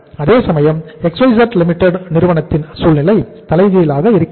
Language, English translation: Tamil, Whereas in the other firm XYZ Limited the situation is reverse